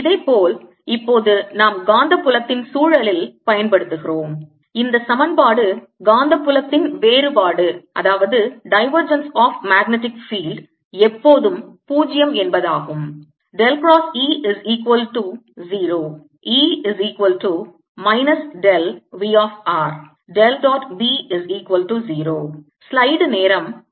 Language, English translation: Tamil, similarly now we use in the context of magnetic field this equation that the divergence of magnetic field is always zero